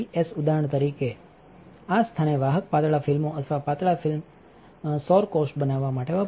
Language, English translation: Gujarati, For example, are used to produce conductive thin films in this place or thin film solar cells